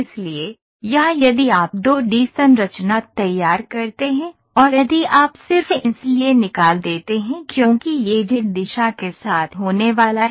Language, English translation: Hindi, So, here if you draw the 2 D structure and if you just extrude because it is going to be along the Z direction the same